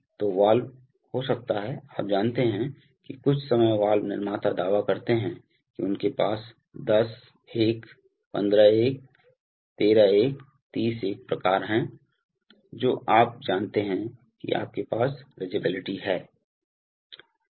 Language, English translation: Hindi, So valves can have, you know sometime valve manufacturers claim that they have, you know 10 : 1, 15:1, 13:1, 30:1 kind of you know rangeabilities